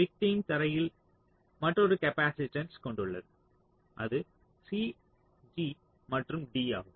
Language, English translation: Tamil, the victim is experiencing another capacitance to ground, that is c, g and d